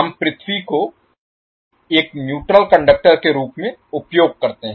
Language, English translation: Hindi, We use earth as a neutral conductor